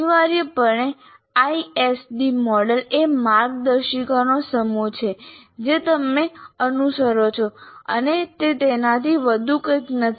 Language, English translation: Gujarati, So essentially, ISD model is a set of guidelines that you follow